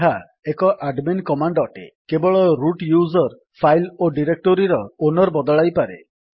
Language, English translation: Odia, This is an admin command, root user only can change the owner of a file or directory